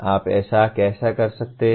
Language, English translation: Hindi, How can you do that